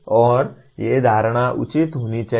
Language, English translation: Hindi, And these assumptions should be justifiable